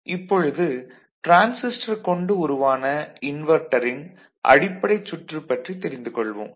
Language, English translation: Tamil, So, we start with a basic circuit of a very simple circuit of transistor based inverters